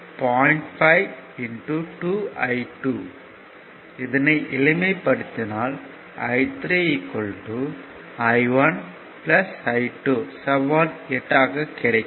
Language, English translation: Tamil, So, directly you are getting that i 1 and i 2